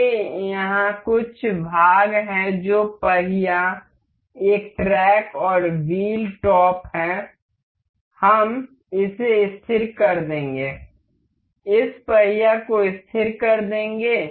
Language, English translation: Hindi, I here have some parts that is wheel, a track and wheel top; we will just fix it, fix this top to this wheel